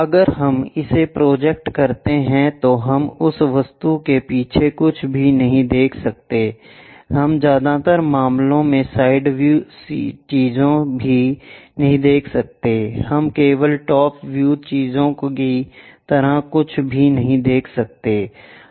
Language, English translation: Hindi, If we project it we cannot see anything backside of that object, we cannot even see the side things in most of the cases, we cannot see anything like top view things only